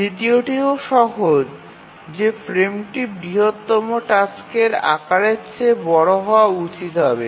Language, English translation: Bengali, The second one is also easy that the frame size must be larger than the largest task size